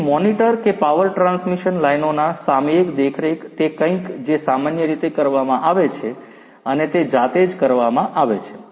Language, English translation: Gujarati, So, you know the monitor that the periodic monitoring of the power transmission lines is something that is done typically and that is done manually